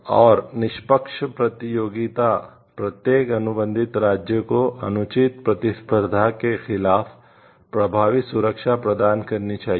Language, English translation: Hindi, Unfair competition, each contracting state must provide for effective protection against unfair competition